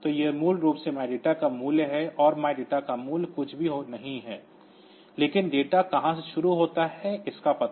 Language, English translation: Hindi, So, this is basically the value of my data and value of my data is nothing, but the address from where the my data starts